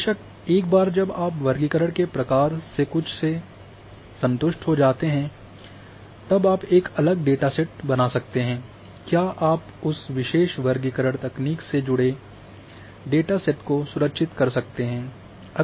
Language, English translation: Hindi, Of course, once you are satisfied with certain type of classification you can create a separate dataset or you can save that particular classification technique associated with that dataset